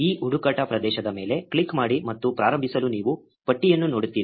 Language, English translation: Kannada, Just click on this search area and you will see a list to start with